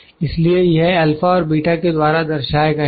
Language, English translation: Hindi, So, these are denoted by alpha and beta